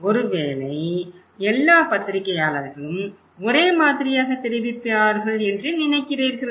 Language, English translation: Tamil, Maybe, do you think that all journalists will report the same way